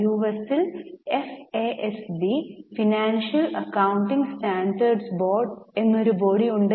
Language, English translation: Malayalam, In US there is a body called as FASB, Financial Accounting Standard Board